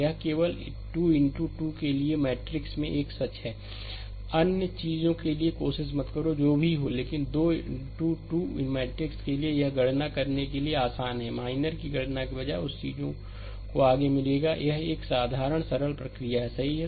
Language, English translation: Hindi, This is a true only for 3 into 3 into 3 matrix, do not try for other thing it will never be, but for 3 into 3 matrix, it is easy to compute rather than computing your minor another thing state forward we will get it, this is a simple simple procedure, right